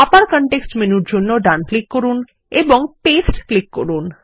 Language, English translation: Bengali, Right click again for the context menu and click Paste